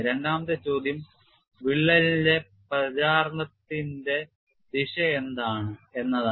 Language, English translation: Malayalam, And the secondary question is what is the direction of crack propagation